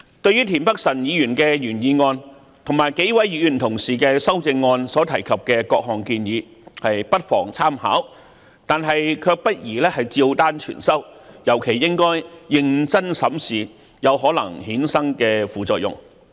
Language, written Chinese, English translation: Cantonese, 對於田北辰議員的原議案及數位同事的修正案所提及的各項建議不妨參考，但卻不宜照單全收，尤其應認真審視有可能衍生的副作用。, We may take into account the proposals contained in Mr Michael TIENs original motion and the amendments moved by several fellow colleagues but it may not be appropriate to accept them in full and their potential side effects should be particularly examined